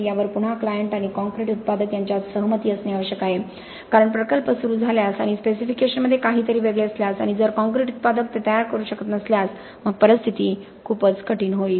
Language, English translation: Marathi, Again this has to be agreed upon between the client and the concrete producer because if the project starts something is then the specification, the concrete producer is not able to make it, it is going to be quite a dicey situation